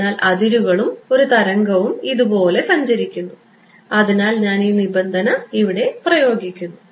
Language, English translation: Malayalam, So, boundary and a wave travels like this and I impose the condition this one